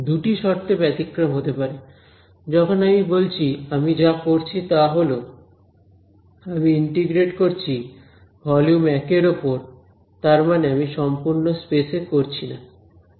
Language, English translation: Bengali, Except two conditions are there when I say what I am doing is, I am integrating over this region volume 1, that is what I am doing not the entire space right